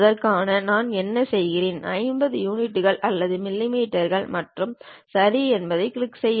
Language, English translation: Tamil, For that what I do, 50 units or millimeters and click Ok